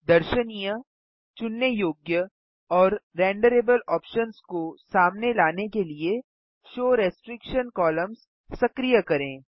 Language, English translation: Hindi, Activate Show restriction columns to unhide the viewable, selectable and renderable options